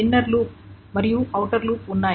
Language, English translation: Telugu, There is an inner loop and an outer loop